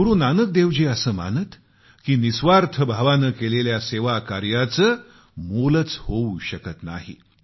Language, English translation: Marathi, Guru Nank Dev ji firmly believed that any service done selflessly was beyond evaluation